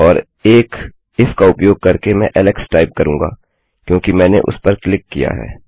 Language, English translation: Hindi, And using an if, Ill type in Alex, since I clicked that